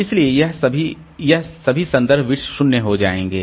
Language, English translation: Hindi, So, this reference bit is initially set to zero